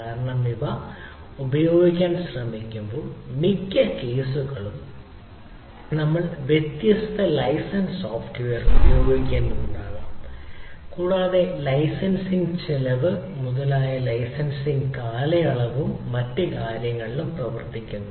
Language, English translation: Malayalam, right, because most of the cases when we try to use these, we may be using different license software and those licensing cost etcetera come into play, not only that licensing period and so and other things come into